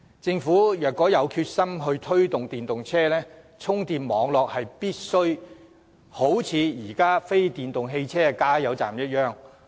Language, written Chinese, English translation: Cantonese, 政府若有決心推動電動車，充電網絡便必須和現時非電動汽車的加油站看齊。, If the Government is really determined to promote the use of EVs it has to build a charging network comparable to the current network of fuelling stations for non - electric cars